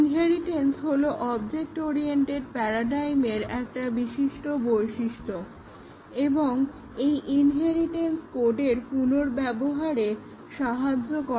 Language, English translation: Bengali, Inheritance is a prominent feature of object oriented paradigm and inheritance helps code reuse